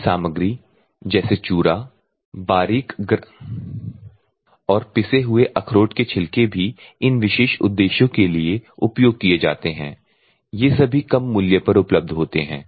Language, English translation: Hindi, Agricultural materials such as sawdust, ground corncob fines and crushed walnut shells are also used for these particular purposes so, these are all economic